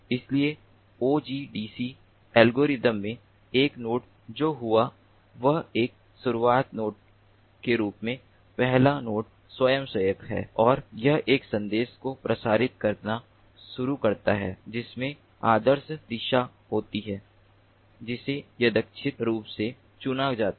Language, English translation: Hindi, what happeneds is first a node volunteers as a starting node and it starts broadcasting a message containing the ideal direction, which is randomly selected